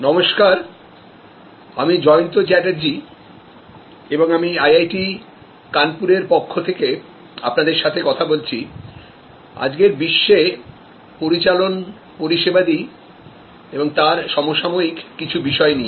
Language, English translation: Bengali, Hello, I am Jayanta Chatterjee and I am interacting with you on behalf of IIT Kanpur on Managing Services and contemporary issues in today's world